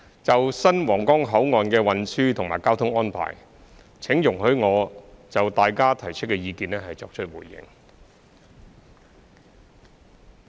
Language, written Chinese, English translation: Cantonese, 就新皇崗口岸的運輸及交通安排，請容許我就大家提出的意見作出回應。, Regarding the transport and traffic arrangements for the new Huanggang Port I wish to give a reply on Members views if I may